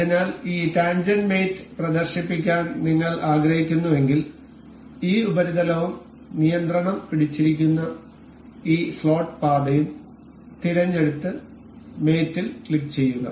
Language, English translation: Malayalam, So, if we want to demonstrate this tangent mate we will select this surface and this slot path holding the control and click on mate